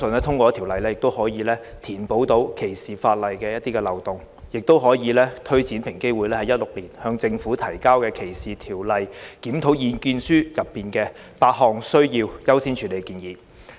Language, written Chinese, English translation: Cantonese, 《條例草案》可填補歧視法例現存的漏洞，亦有助推展平機會在2016年發表的《歧視條例檢討：向政府提交的意見書》中8項需優先處理的建議。, The Bill can plug the loophole in the current anti - discrimination ordinances and will facilitate the implementation of the eight recommendations of priority in the Discrimination Law Review―Submissions to the Government released by EOC in 2016